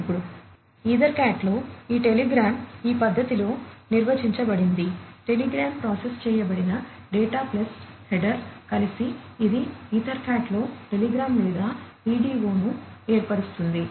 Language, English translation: Telugu, Now, in EtherCAT this telegram is defined in this manner, telegram is the processed data plus the header, together it forms the telegram or the PDO in EtherCAT